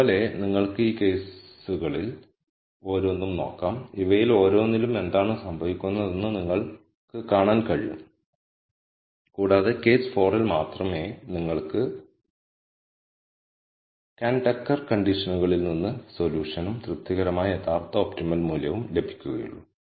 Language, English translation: Malayalam, Similarly you can look at each of these cases and you can see what happens in each of these and you will notice that only in case 4 will you have the solution that you got from the Kuhn Tucker condition and the actual optimum being satisfied